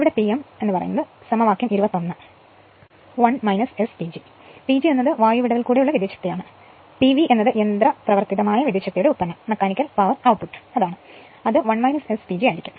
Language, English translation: Malayalam, Here P m is equal to equation 21 1 minus S P G, P G is the air gap power and p v is the mechanical power output that is 1 minus S P G